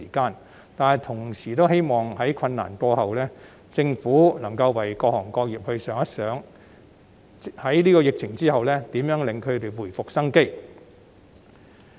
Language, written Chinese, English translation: Cantonese, 然而，我同時希望在困難過後，政府能夠為各行各業設想如何在疫情後令他們回復生機。, However I also hope that when the hardship is over the Government will consider what can be done for all trades and professions to help them revitalize after the pandemic